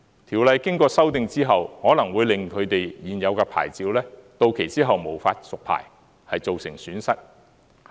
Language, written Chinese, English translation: Cantonese, 《條例》經過修訂後，可能會令他們現有的牌照，到期後無法續牌而造成損失。, After the Ordinance is amended they may suffer losses because they may not be able to renew their existing licences under the new requirements